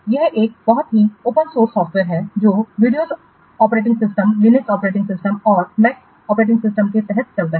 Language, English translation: Hindi, It is a very open source software that runs under the what Windows operating systems, Linux operating systems and Mac operating systems